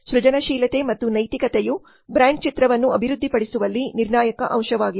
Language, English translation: Kannada, Creativity and ethics are crucial elements in developing brand image